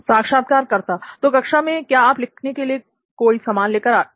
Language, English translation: Hindi, So in classroom do you carry any kind of material to write